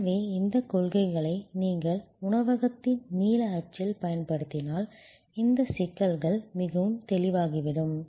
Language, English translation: Tamil, So, if you apply these principles to the restaurant blue print, these issues will become quite clear